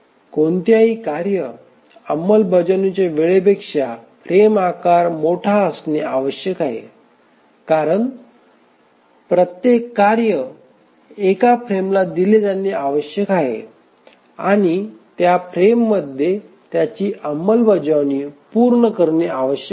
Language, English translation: Marathi, The first thing is that the frame size must be larger than any task execution time because each task must be assigned to one frame and it must complete its execution in the frame